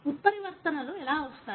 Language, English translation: Telugu, How do mutations come in